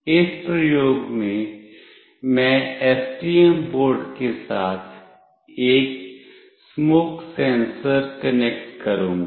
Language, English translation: Hindi, In this experiment, I will be connecting a smoke sensor along with STM board